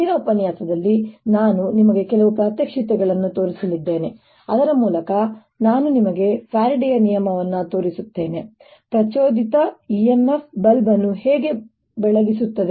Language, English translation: Kannada, in today's lecture i am going to show you some demonstrations whereby i'll show you faraday's law, how an induced e m f lights a bulb